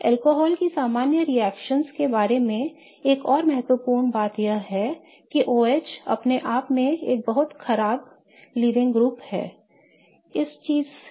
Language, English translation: Hindi, Another important thing to remember when it comes to the general reactivity of alcohols is that the OH in itself is a very bad leaving group